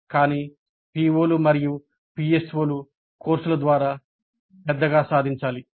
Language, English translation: Telugu, So attainment of the POs and PSOs have to be attained through courses